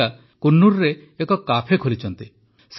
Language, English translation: Odia, Radhika runs a cafe in Coonoor